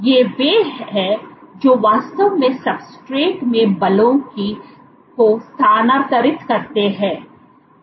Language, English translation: Hindi, These are the ones which actually transfer forces to the substrate